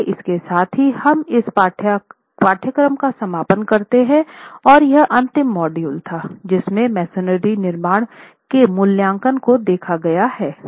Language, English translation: Hindi, So, with that we conclude the course and that was the last module and the last part of the module on special topics looking at assessment of Mason Reconstructions